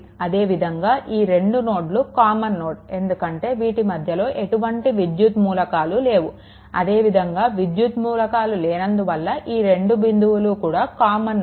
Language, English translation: Telugu, Similarly, this 2 nodes are common node, because there is no electrical element in between this 2 similarly this this point and this point it is same right because no electrical element is there